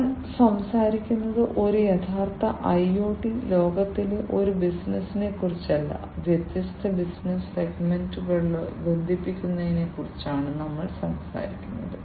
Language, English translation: Malayalam, And we are talking about not one business in a true IoT world, we are talking about connecting different business segments